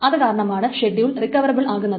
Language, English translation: Malayalam, So this schedule is not recoverable